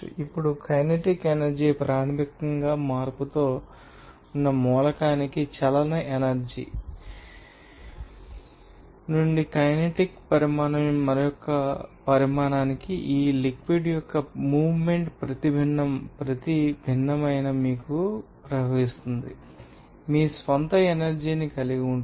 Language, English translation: Telugu, Now, kinetic energy is basically the energy of motion whenever to the element with change, it is you know, kinetic from one you know, quantity to another quantity, you will see that the motion of this fluid at each different, you know, flow rate will have some your own energy